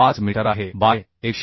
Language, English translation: Marathi, 5 meter by 127